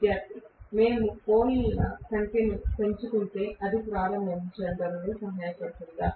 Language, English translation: Telugu, If we increase the number of poles will it help in starting